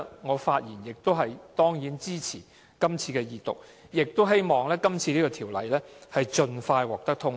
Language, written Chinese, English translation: Cantonese, 我當然支持恢復二讀，亦希望《條例草案》盡快獲得通過。, I certainly support the Second Reading and I hope that the Bill will be passed as soon as possible